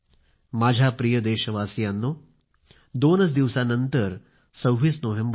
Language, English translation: Marathi, My dear countrymen, the 26th of November is just two days away